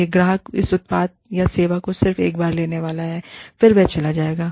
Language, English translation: Hindi, This customer is going to purchase it, the product or service, one time, and going to leave